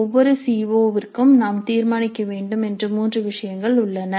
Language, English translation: Tamil, For each CO there are three things that we must decide